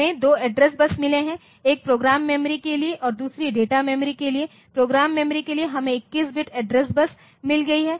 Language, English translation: Hindi, Address bus so, we have got 2 address buses, one is for the program memory and other is for the data memory, for program memory we have got 21 bit address bus